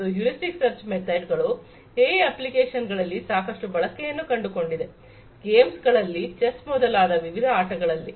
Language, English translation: Kannada, And, heuristic search methods have found lot of use in the applications of AI in games in different games chess inclusive